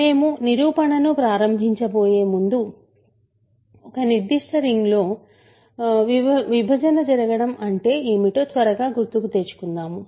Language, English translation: Telugu, So, before we start the proof, let me quickly recall what it means for division to happen in a certain ring